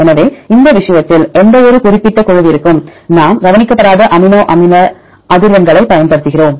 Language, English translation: Tamil, So, in this case we use unweighted amino acid frequencies for any specific group of sequences